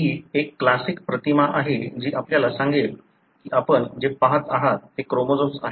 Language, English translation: Marathi, This is one of the classic images that would tell you that what you are looking at are chromosomes